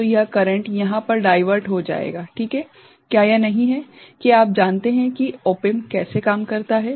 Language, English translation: Hindi, So, this current will get diverted over here ok, is not it that is how you know op amp works